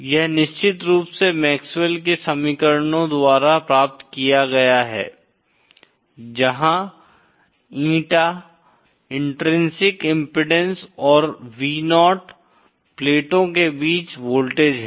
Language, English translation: Hindi, This is of course obtained by MaxwellÕs equations where Eeta is the intrinsic impedance and Vo is the voltage between the plates